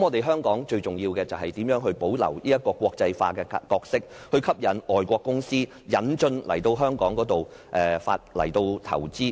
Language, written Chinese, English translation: Cantonese, 香港最重要的是，如何保留國際化的角色，吸引外國公司來香港投資。, To Hong Kong the most important question must be how it can maintain its internationalized nature to attract inward investment